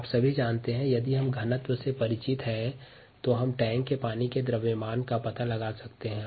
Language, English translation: Hindi, all of you know that if we know the density, we can find out the mass of the water in the tank